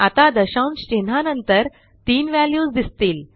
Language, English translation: Marathi, We see here three values after the decimal point